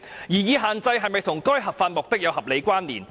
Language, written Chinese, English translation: Cantonese, 擬議限制是否與該合法目的有合理關連？, Is the proposed restriction rationally connected to that legitimate aim?